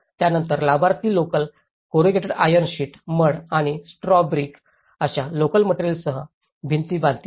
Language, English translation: Marathi, The beneficiaries will then build the walls with materials locally available such as additional corrugated iron sheets, mud and straw bricks